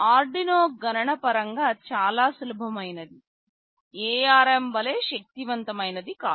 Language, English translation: Telugu, Arduino is computationally very simple, not as powerful as ARM